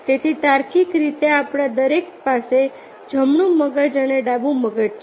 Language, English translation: Gujarati, so, logically, everyone us has the right brain and left brain